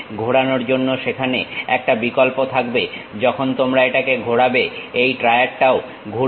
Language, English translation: Bengali, There is an option to rotate when you rotate it this triad also rotates